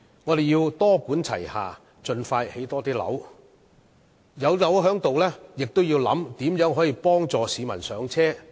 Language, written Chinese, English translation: Cantonese, 我們要多管齊下，盡快興建更多樓宇，而在樓宇建成後，亦要想一想如何幫助市民"上車"。, We should adopt a multi - pronged approach to construct more flats as soon as possible . Upon the completion of flats the authorities have to consider ways to facilitate the public in purchasing their first flats